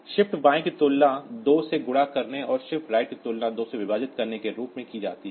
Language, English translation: Hindi, Shift and left is same as multiplying by 2 and shit right is divide by 2